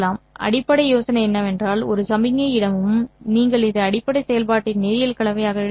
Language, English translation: Tamil, The basic idea is that every signal in that signal space, we should be able to write it as a linear combination of the basis functions from the basis function that we have written